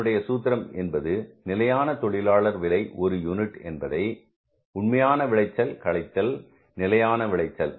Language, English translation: Tamil, The formula is standard labor cost, standard labor cost per unit into actual yield minus standard yield